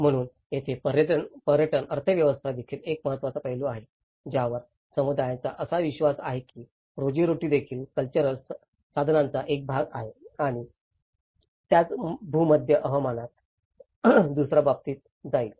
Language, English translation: Marathi, So, that is where, the tourist economy is also an important aspect, how communities have believed that the livelihood is also a part of cultural resource and will go to another case in the same Mediterranean climate